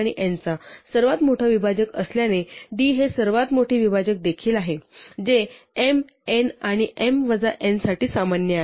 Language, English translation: Marathi, And since d is the largest divisor of m and n, it will turn out that d is also the largest divisor which is common to m, n and m minus n